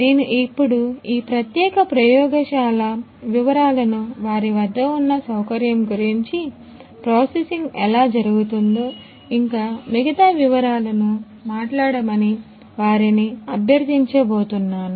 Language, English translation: Telugu, So, I am going to request them to speak about this particular lab and the facility that they have, what is the processing that is done, how it is being done; all the details